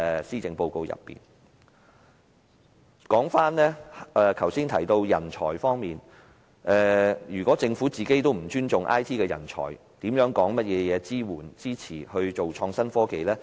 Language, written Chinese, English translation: Cantonese, 說回剛才提及的人才培訓方面，如果政府不尊重 IT 人才，還說甚麼支持發展創新科技呢？, Coming back to the point on manpower training mentioned just now if the Government does not even respect IT personnel what is the point to talk about supporting the development of innovation and technology?